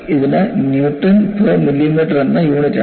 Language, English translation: Malayalam, It has units of Newton per millimeter